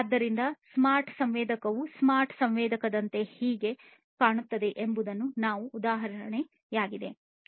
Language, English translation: Kannada, So, this is how is this is how a smart sensor would look like a smart sensor this is an example of it